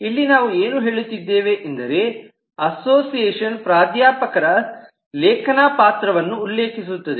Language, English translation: Kannada, so here we are saying this association is referring to the author role of the professor